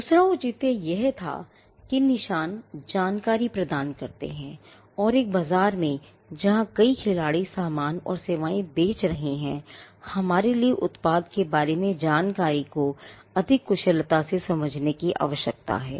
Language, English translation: Hindi, The second justification was that, marks provided information and in a market where, there are multiple players selling goods and services, there is a need for us to understand information about the product more efficiently